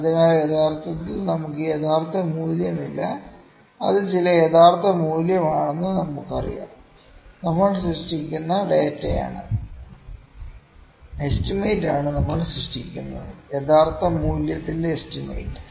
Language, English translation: Malayalam, So, what we have actually do not have the true value, we just know that is some true value, and what we are generating the data which we were generating is the estimate; is the estimate of the true value